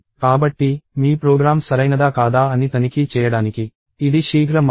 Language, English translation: Telugu, So, that is the quick way to check whether your program is correct or not